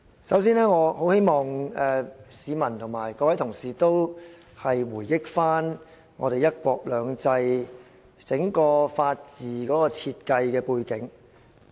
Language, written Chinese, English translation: Cantonese, 首先，我希望市民和各位同事回憶"一國兩制"的整個法治設計背景。, Before all else I hope to refresh the memories of the public and Honourable colleagues of the background of the design of one country two systems to uphold the rule of law